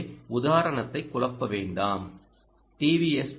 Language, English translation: Tamil, so so don't confuse the example ah